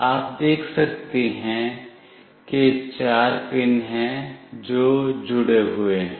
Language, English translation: Hindi, You can see there are four pins that are connected